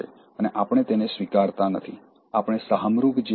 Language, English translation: Gujarati, And we are not acknowledging them, we are like ostriches